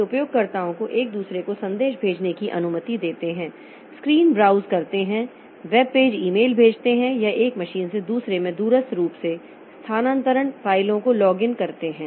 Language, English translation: Hindi, They allow users to send messages to one another screens, browse web pages, send email, login remotely, transfer files from one machine to another